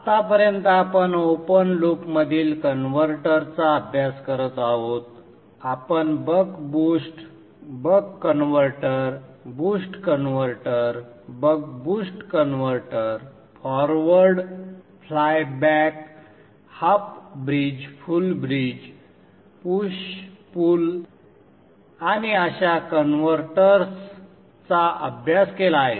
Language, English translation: Marathi, Till now we have been studying converters in open loop we We studied the buck boost converter, the boost converter, the buck boost converter, isolated converters like the forward, flyback, the half bridge, full bridge, push pull and such converters where the open loop operation was described